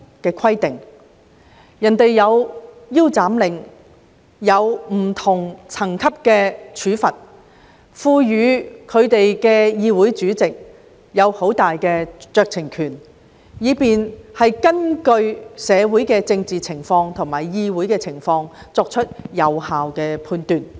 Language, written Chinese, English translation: Cantonese, 別人設有"腰斬令"，以及不同層級的罰則，並賦予議長很大酌情權，可以根據社會政治情況和議會情況作出有效判斷。, In other places a suspension order can be made together with different levels of penalty . Besides the speaker is given much discretion and may make an effective judgment based on the political circumstances in the community and also the situation in the legislature